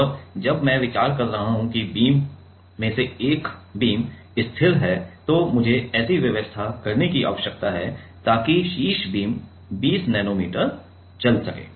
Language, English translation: Hindi, And while I am considering that one of the beam is fix, then I need to make such an arrangement so that the top beam will move 20 nanometer